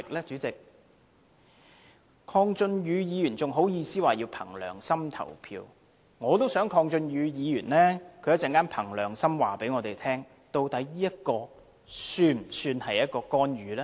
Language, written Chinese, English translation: Cantonese, 鄺俊宇議員還好意思說要憑良心投票，我也想鄺俊宇議員稍後憑良心告訴我們，究竟這做法是否屬於干預呢？, Deputy President Mr KWONG Chun - yu even has the audacity to say that it is necessary to vote according to ones conscience . I hope that Mr KWONG Chun - yu will also tell us later according to his conscience whether the above practice constitutes interference